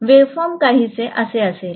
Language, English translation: Marathi, The waveform will be somewhat like this